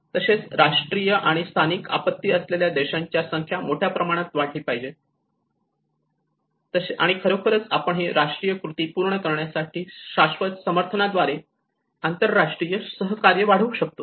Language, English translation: Marathi, And as well as substantially increase the number of countries with national and local disaster and you know how we can actually enhance the international cooperation through adequate sustainable support to complement the national action